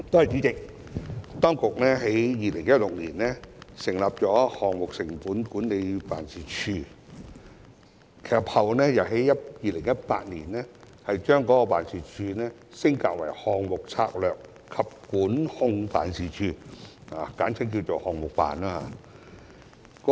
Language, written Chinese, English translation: Cantonese, 主席，當局在2016年成立項目成本管理辦事處，其後並於2018年把該辦事處升格，成為項目策略及管控辦事處，簡稱"項目辦"。, President the Government established the Project Cost Management Office in 2016 and upgraded it subsequently in 2018 to the Project Strategy and Governance Office which is abbreviated as PSGO